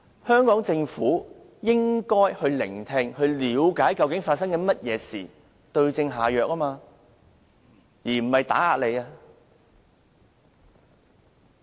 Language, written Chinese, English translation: Cantonese, 香港政府要把脈，要聆聽和了解究竟發生了甚麼事，再對症下藥，而不是打壓。, The Hong Kong Government should feel the pulse of the community listen to public views find out what have happened and prescribe the right remedy . It should not suppress the opposing voices